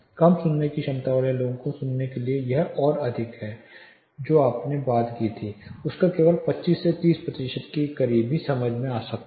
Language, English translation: Hindi, For hearing impaired people it is further more only 25 percent of what you talk would be understood close to 25 to 30 percent only could be understood